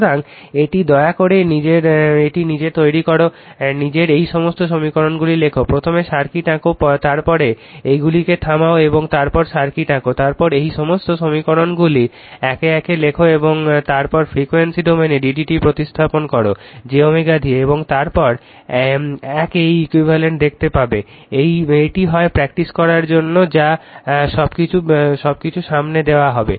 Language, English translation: Bengali, So, this one you please make it of your own right, you write down all these equations of your own first you draw the circuit, then you right down all this your you pause it and then draw the circuit, then all this equations you write one by one alright and then you frequency domain you d d t you replace by j omega and then you will your what you call, then you see this one equivalent 1, this is either exercise for you or everything is given in front of you right